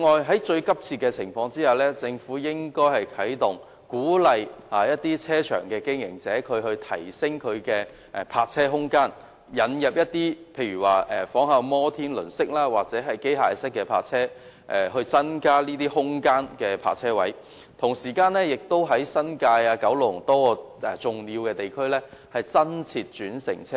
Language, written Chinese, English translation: Cantonese, 此外，當情況嚴峻時，政府應該鼓勵車場經營者提升泊車空間，例如仿效摩天輪式或機械式的泊車方法，以增加泊車位，以及在新界和九龍多個重要地區增設轉乘車位。, Moreover when the situation is acute the Government should encourage car park operators to increase the capacity of their car parks such as adopting Ferris wheel - style parking or automated parking method to accommodate more vehicles; or it can provide more park - and - ride spaces in major Kowloon ad New Territories districts